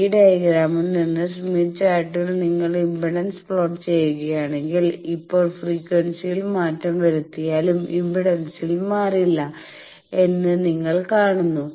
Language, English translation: Malayalam, So, you see that from this diagram that there is in the smith chart, if you plot the impedance, now if even with change in frequency the impedance does not change